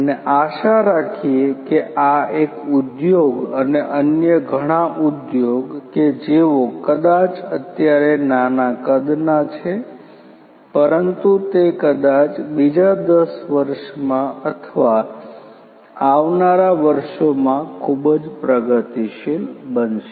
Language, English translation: Gujarati, And hopefully these industry this one and many other similar industry who are maybe they are small in size now, but very progressive minded what is going happen probably is in the years to come maybe in another ten years or